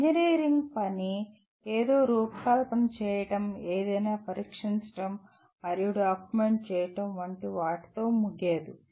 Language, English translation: Telugu, An engineer’s work does not end with designing something, testing something and documenting it